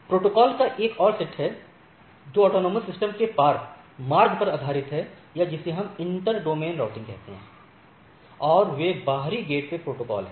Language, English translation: Hindi, There is other set of protocols which are based on routing across the autonomous system or what we say inter domain routing, and those are exterior gateway protocol